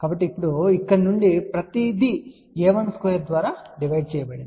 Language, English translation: Telugu, So, now, from here divide everything by a 1 square